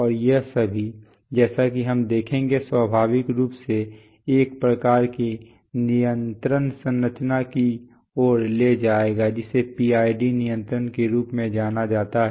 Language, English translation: Hindi, And all these, as we shall see will lead to a, naturally lead to a kind of control structure which is known as PID control